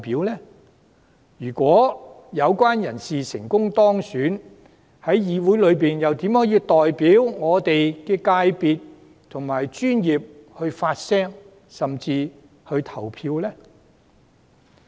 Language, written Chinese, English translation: Cantonese, 即使這些人士成功當選，又如何能在立法會中代表我們的業界發聲及投票？, Even if these people were elected how could they speak for and vote on behalf of our FC in the Legislative Council?